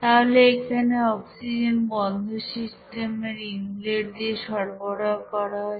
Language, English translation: Bengali, So oxygen will be you know supplying from inlet of this closed system there